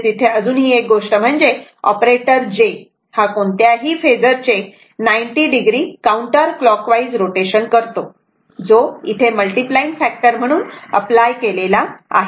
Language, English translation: Marathi, So, another thing is that the operator j produces 90 degree counter clockwise rotation, right of any phasor to which it is applied as a multiplying factor